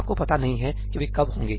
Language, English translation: Hindi, You have no idea when they are getting